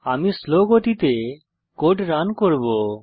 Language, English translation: Bengali, Let me run the code at slow speed